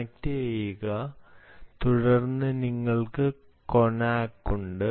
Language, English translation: Malayalam, then you have connack